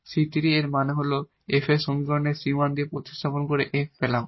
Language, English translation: Bengali, So, c 3 and that means, now this is you our f by substituting the c 1 here in this equation in this f equation here